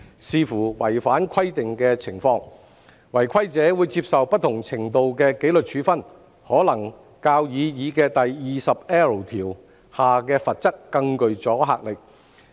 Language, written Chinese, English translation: Cantonese, 視乎違反規定的情況，違規者會接受不同程度的紀律處分，可能較擬議第 20L 條下的罰則更具阻嚇力。, Those who contravene the requirements will be subject to varying degrees of disciplinary actions depending on the circumstances which may have a greater deterrent effect than the penalty under the proposed section 20L